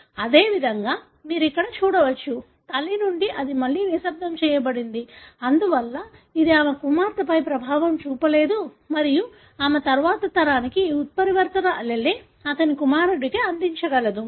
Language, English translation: Telugu, Likewise you can see here, from mother, this is again, it is silenced; therefore, it is not affecting her daughter and again she is able to contribute this mutant allele to the next generation that is to his son